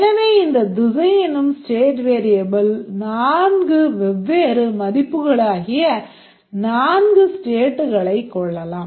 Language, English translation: Tamil, So, this state variable direction can take four different values and these are four states